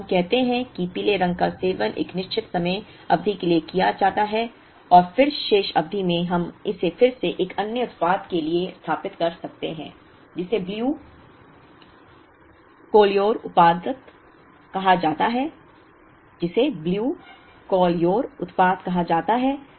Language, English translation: Hindi, Now, let us say yellow is also consumed up to a certain time period and then in the remaining period we could again set it up for another product which is say the blue colure product